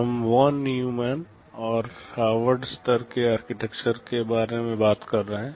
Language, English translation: Hindi, We talk about Von Neumann and Harvard class of architectures